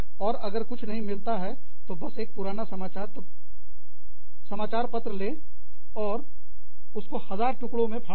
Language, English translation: Hindi, And, if you have nothing else, just take an old newspaper, and tare it into a million pieces